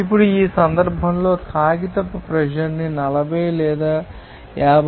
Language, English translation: Telugu, Now, calculate the paper pressure at 40 or 52